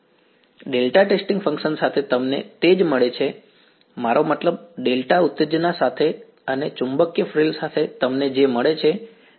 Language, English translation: Gujarati, That is what you get with delta testing function, I mean with the delta excitation and with the magnetic frill what you get is